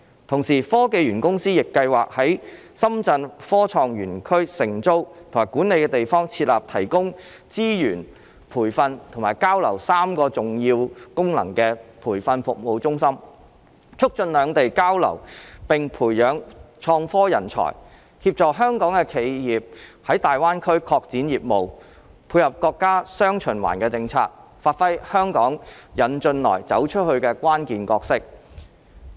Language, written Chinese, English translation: Cantonese, 同時，科技園公司亦計劃在深圳科創園區承租及管理的地方設立提供資源、培訓以及交流3個重要功能的培訓服務中心，促進兩地交流並培養創科人才，協助香港的企業在大灣區拓展業務，配合國家"雙循環"的政策，發揮香港"引進來"、"走出去"的關鍵角色。, Meanwhile the Hong Kong Science and Technology Parks Corporation also plans to set up a training services centre in the areas of the Shenzhen Innovation and Technology Zone leased and managed by it . The centre will provide services covering three key functions of resources training and exchange thereby facilitating exchanges between Hong Kong and Shenzhen nurturing IT talent assisting Hong Kong enterprises in developing their business in GBA complementing the dual circulation policy of the country and enabling Hong Kong to play its critical role of attracting foreign investment and going global